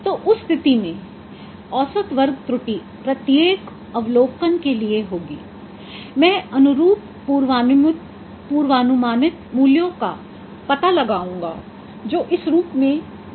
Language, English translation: Hindi, So in that case mean square error would be for each observation I will find out the corresponding predicted values which is shown in this form